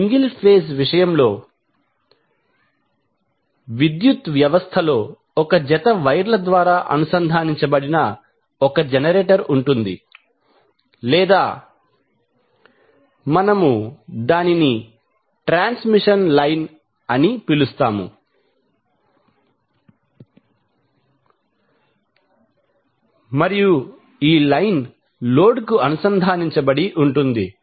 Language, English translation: Telugu, So, in case of single phase the power system we consist of 1 generator connected through a pair of wires or we call it as transmission line and this line is connected to load